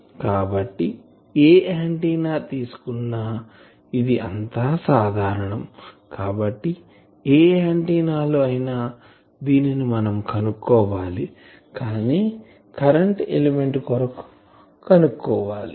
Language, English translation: Telugu, So, this is general for any antenna , so for any antenna we can find that , but for current element let us find out this that